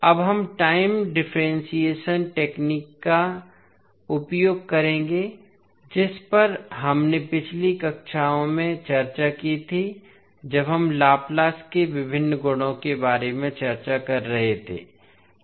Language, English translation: Hindi, Now, we will use time differentiation technique which we discussed in the previous classes when we were discussing about the various properties of Laplace transform